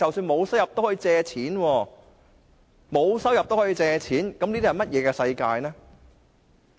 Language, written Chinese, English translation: Cantonese, "沒有收入都可以借錢，這是怎麼樣的世界呢？, What sort of a world is it if someone without any income can borrow money?